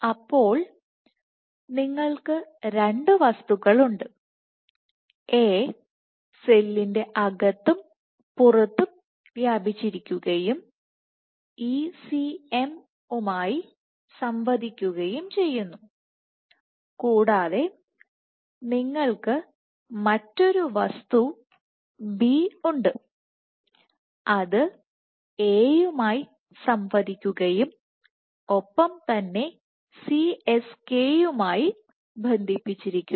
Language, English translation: Malayalam, So, you have two entities entity A which span both the inside and the outside of the cell and interacts with the ECM and you have another entity B which interact with A and connects to the CSK is short for cytoskeleton